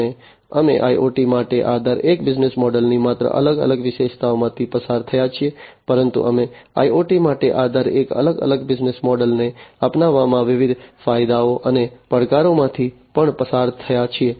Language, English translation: Gujarati, And we have also gone through the different not only the features of each of these business models for IoT, but we have also gone through the different advantages and the challenges in the adoption of each of these different business models for IoT